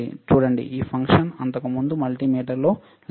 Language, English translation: Telugu, See, this function was not there in the earlier multimeter